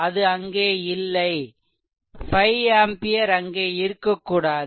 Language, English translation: Tamil, It is not there; 5 ampere should not be there